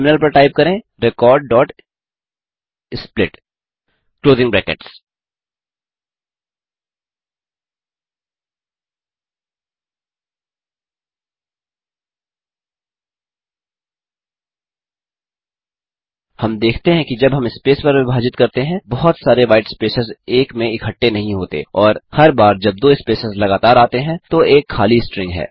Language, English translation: Hindi, Type on terminal record.split() We see that when we split on space, multiple whitespaces are not clubbed as one and there is an empty string every time there are two consecutive spaces